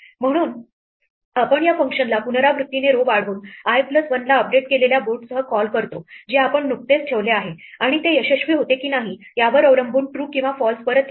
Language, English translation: Marathi, So, we recursively call this function incrementing the row to i plus one with the updated board which we have just put and this will return true or false depending on whether it succeeds or not